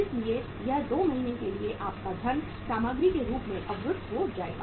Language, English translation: Hindi, So it means for 2 months your funds will be blocked in the form of material